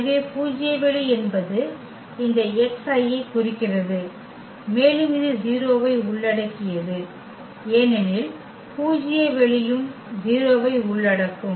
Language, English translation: Tamil, So, the null space means these x I and which includes the 0 also because the null space will also include the 0